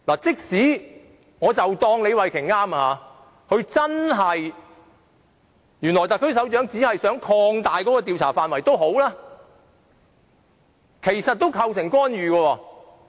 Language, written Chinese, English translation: Cantonese, 即使我假設李慧琼議員所說是對的，特區首長只想擴大調查範圍，但其實也構成干預。, Even if I assume what Ms Starry LEE said is right and the head of the SAR only seeks to expand the areas of study this still constitutes an interference